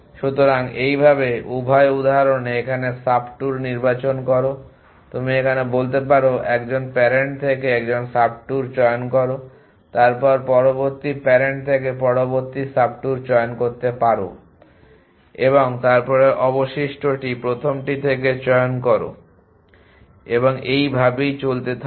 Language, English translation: Bengali, So, thus as be selected subtour to here in both these example you can say choose a subtour from 1 parent then choose a next subtour from the next parent an then choose remaining from the first and so on